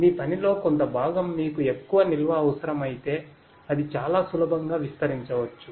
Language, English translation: Telugu, That you know some part of your job if it requires that you need more storage that also can be expanded very easily